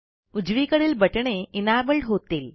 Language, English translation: Marathi, The buttons on the right side are now enabled